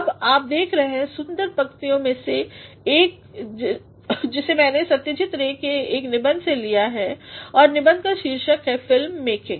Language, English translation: Hindi, Now, you can have a look at one of the beautiful lines which I have taken from one essay by Satyajit Ray and the essay is titled film making